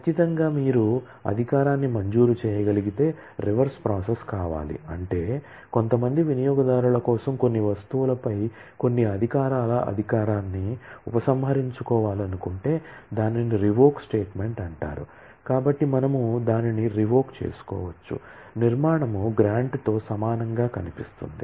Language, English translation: Telugu, Certainly, if you can grant an authorization, then needs to be a reverse process that is if we want to withdraw authorization of certain privileges on certain items for certain users, so that is known as a revoke statement